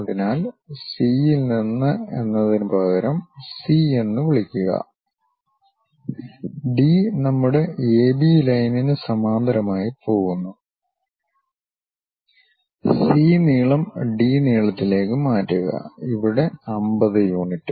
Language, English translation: Malayalam, So, call this one C then from C, D goes parallel to our A B line, transfer C to D length, which is 50 units here